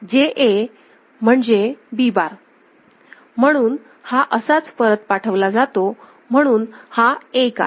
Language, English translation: Marathi, JA is B bar all right, it is fed back like this ok, so this is 1